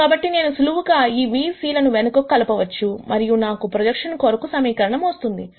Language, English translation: Telugu, So, I simply plug this v c back in and I get the expression for projection